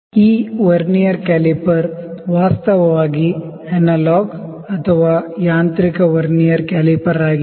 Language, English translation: Kannada, This Vernier caliper is actually the analog or mechanical Vernier caliper